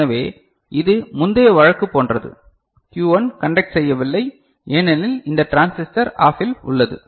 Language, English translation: Tamil, So, which was the previous case, as such Q1 is not conducting because this transistor is OFF